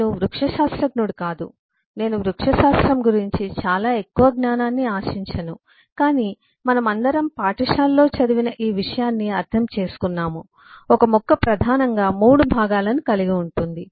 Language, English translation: Telugu, am not a botanist, um exactly, I don’t expect whole lot of knowledge of botany, but all of us understand this much, which we studied in school, that a plant comprise of primarily few parts